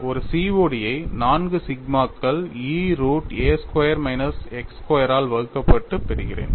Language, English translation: Tamil, Getting a COD as 4 sigma divided by E root of a square minus x square we have achieved